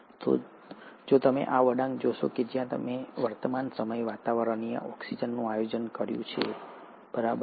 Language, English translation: Gujarati, So if you see this curve where I have plotted atmospheric oxygen at the present day, right